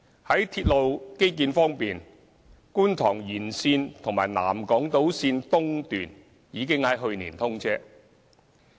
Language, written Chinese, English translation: Cantonese, 在鐵路基建方面，觀塘線延線和南港島線已在去年通車。, With regard to railway infrastructures the Kwun Tong Line Extension and South Island Line East have already been commissioned last year